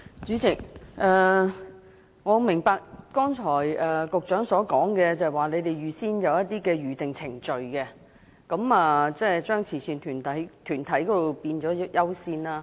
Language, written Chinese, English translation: Cantonese, 主席，我明白局長剛才所說，即政府設有《預訂程序》，並對慈善團體給予較高的優先次序。, President I understand the point made by the Secretary just now that is the Government has established the Booking Procedure and accorded a higher priority to charitable organizations